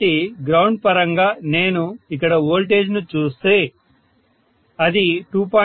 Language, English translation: Telugu, So with respect to ground, if I look at the voltage here that is 2